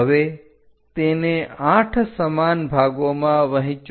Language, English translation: Gujarati, Now, divide that into 8 equal parts